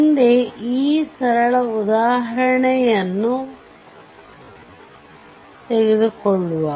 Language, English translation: Kannada, So, next take this simple example